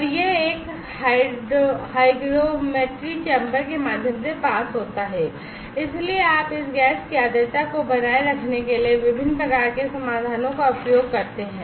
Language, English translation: Hindi, And this past through a hygrometry chamber, so you use different types of solutions to maintain the humidity of this gas